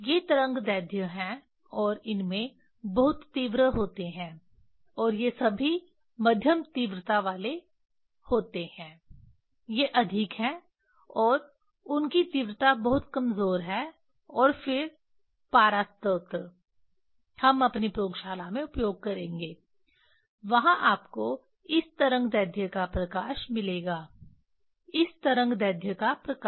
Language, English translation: Hindi, These are the wavelengths and they have these have strong intensity and these have all although it is the medium intensity; there are more and their intensity are very weak and then mercury source we will use in our laboratory there you will get light of this wave length, light of this wave length